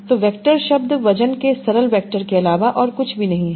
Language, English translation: Hindi, So the word vectors are nothing but simple vectors of weights